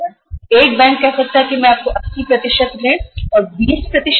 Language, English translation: Hindi, So one bank may say that I will give you 80% loan, 20% CC limit